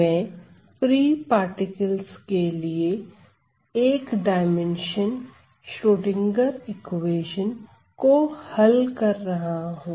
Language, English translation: Hindi, So, I am solving 1 D Schrodinger equation just to recap